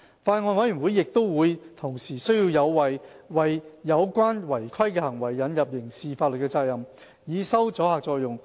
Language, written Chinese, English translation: Cantonese, 法案委員會亦同意，有需要為有關違規行為引入刑事法律責任，以收阻嚇作用。, The Bills Committee also agrees that there is a need to introduce criminal liabilities against non - compliance for deterrent effect